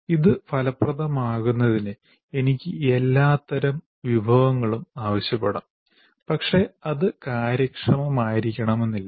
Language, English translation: Malayalam, I can ask for all kinds of resources for it to be effective, but it may not be efficient